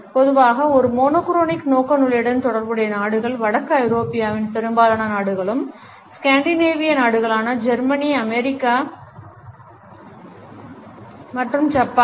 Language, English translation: Tamil, The countries which are typically associated with a monochronic orientation are most of the countries in northern Europe the scandinavian countries Germany USA and Japan